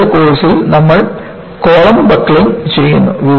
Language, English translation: Malayalam, In the first level course, you simply do column buckling